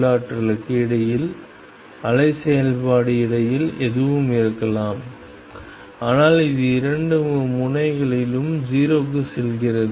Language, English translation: Tamil, In between the potential varies the wave function could be anything in between, but it goes to 0 at the 2 ends